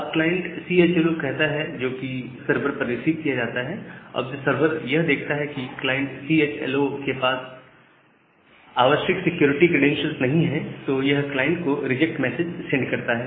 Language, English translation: Hindi, When the client says this inchoate client CHLO which is received by the server, and the server finds it out that the client CHLO does not has the required security certificate, it sends a reject message